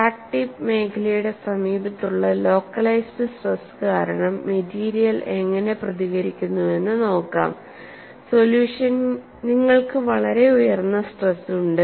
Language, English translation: Malayalam, And let us look at what way the material responds, because of high localized stresses near the crack tip region